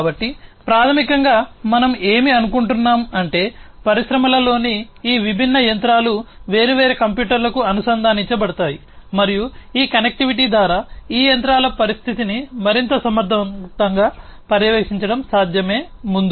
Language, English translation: Telugu, So, basically what we are think I mean what has happened is these different machinery in the industries would be connected to different computers and through this connectivity, what it would be possible is to monitor the condition of these machines in a much more efficient manner than before